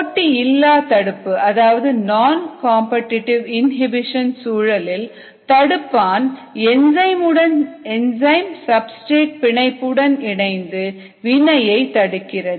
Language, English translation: Tamil, in the non competitive inhibition, the inhibitor binds to the enzyme as well as the enzyme substrate complex and individual reaction